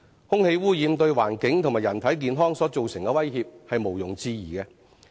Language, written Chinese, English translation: Cantonese, 空氣污染對環境及人體健康所造成的威脅是毋庸置疑的。, The threat posed by air pollution to the environment and human health is beyond any doubt